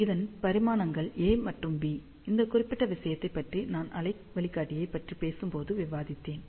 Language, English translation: Tamil, The dimensions are a and b, we have discussed about this particular thing, when I talked about waveguide